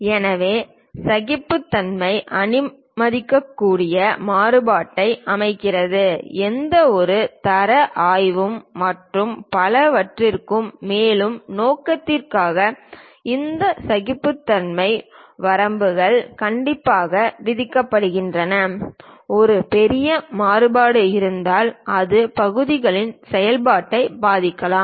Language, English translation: Tamil, So, tolerances set allowable variation so, any quality inspections and so on, further purpose these tolerance limits are strictly imposed, if there is a large variation it may affect the functionality of the part